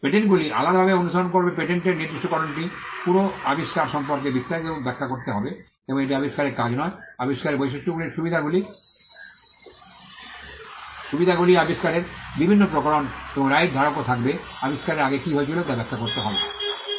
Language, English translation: Bengali, But patents follow a different path the patent specification will have to explain in detail the entire invention and it is not just the invention the working of the invention the features of the inventions the advantages, the various variations in the invention and the right holder will also have to explain what went before the invention